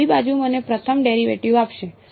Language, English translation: Gujarati, The left hand side will give me first derivative